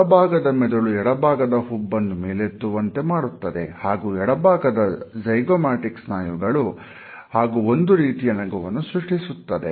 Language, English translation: Kannada, The right brain rises the left side eyebrow, where left zygomaticus muscles and the left cheek to produce one type of smile on the left side of a face